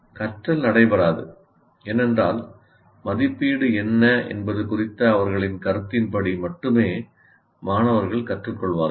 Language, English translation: Tamil, Learning will not take place because students will only learn as per their perception of what assessment is